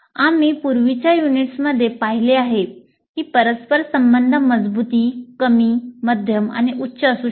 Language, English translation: Marathi, This we have seen in the earlier units that the correlation strength can be low, moderate or high